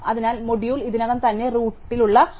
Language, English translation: Malayalam, So, the module is the mod 3 maximum values already at the root